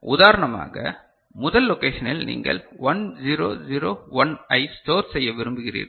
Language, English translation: Tamil, So, for example; in the first location you want to store 1 0 0 1